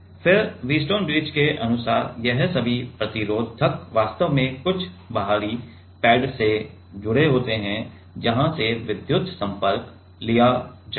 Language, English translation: Hindi, And then all this resistors according to the Wheatstone bridge are actually connected to some external pads where from the electrical contacts will be taken